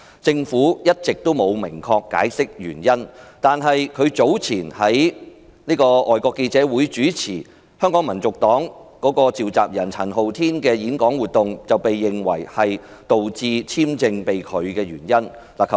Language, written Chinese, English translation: Cantonese, 政府一直沒有明確解釋原因，但他早前在外國記者會主持香港民族黨召集人陳浩天的演講活動，被認為是導致簽證被拒的原因。, The Government has all along refused to give a specific explanation but it is believed that Mr MALLETs visa application is rejected because earlier he chaired a talk given by Andy CHAN convenor of the Hong Kong National Party at FCC